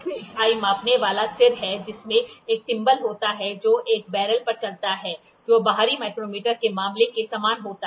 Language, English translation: Hindi, The main unit is the measuring head which has a thimble that moves over a barrel, same as the case of an outside micrometer